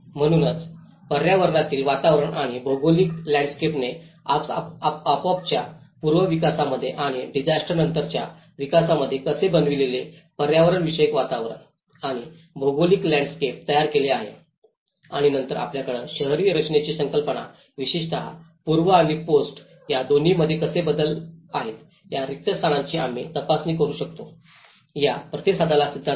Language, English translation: Marathi, So, I developed this kind of framework of oneness, how the ecological environment and the geographical landscape is framing the built environment aspect especially, in the pre disaster development and the post disaster development and then you have the concepts of urban design especially, the theory of respond how we can check this spaces how it is changing in both the pre and post